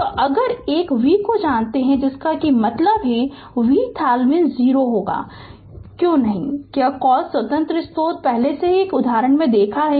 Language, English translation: Hindi, So, if know a V that means, V Thevenin will be 0 because no your what you call independent source is there earlier also you have seen one example